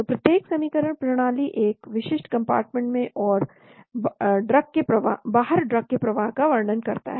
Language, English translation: Hindi, So each equation, system, describes the flow of drug into and out of a specific compartment , into and out